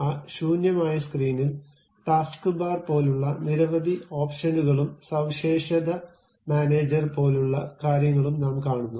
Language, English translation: Malayalam, In that blank screen, we see variety of options like taskbar, and something like feature feature manager and the other things